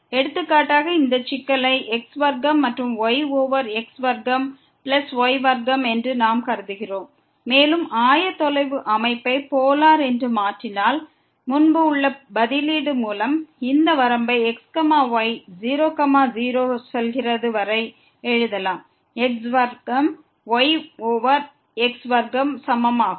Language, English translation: Tamil, For example, we consider this problem square over square plus square and if we change the coordinate system to the Polar, then by the substitution as earlier, we can write down this limit goes to ; square over square square is equal to